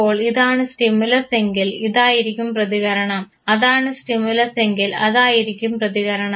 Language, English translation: Malayalam, So, if this is the stimulus this is supposed to be the response, if that is stimulus that is supposed to be the response